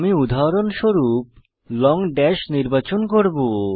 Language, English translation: Bengali, For eg I will select Long dash